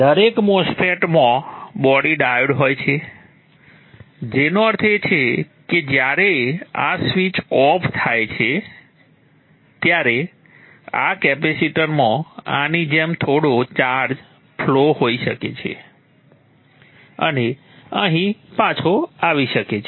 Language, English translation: Gujarati, Every MOSFET has a body diode which means that when this switches off this capacitor can have some charge flow like this and back here which means this will get charged and this will not turn off